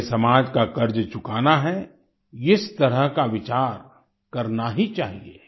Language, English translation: Hindi, We have to pay the debt of society, we must think on these lines